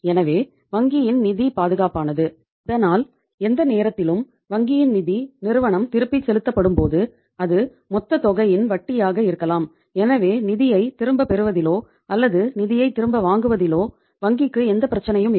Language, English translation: Tamil, So bank’s funds are safe so that any time when the bank’s funds are becoming due to be repaid by the firm back maybe the interest of the total amount so the bank has no problem in collecting the funds back or getting the funds back